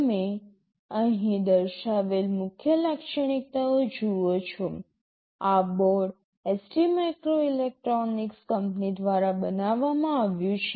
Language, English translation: Gujarati, You see the main features that are mentioned here: this board is manufactured by a company ST microelectronics